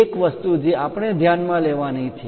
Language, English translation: Gujarati, One thing what we have to notice